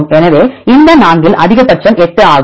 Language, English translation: Tamil, So, the maximum of this among this 4 is 8